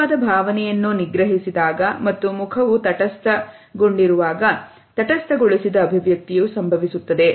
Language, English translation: Kannada, A neutralized expression occurs when a genuine expression is suppressed and the face remains, otherwise neutral